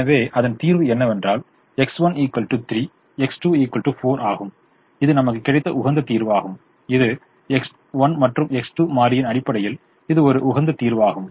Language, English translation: Tamil, so the solution is x one equal to three, x two equal to four, which is your optimum solution, which is your optimum solution for the basis: x one, x two